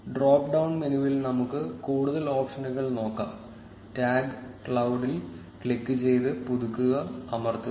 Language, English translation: Malayalam, Let us look at more options in the drop down menu; click on the tag cloud and press refresh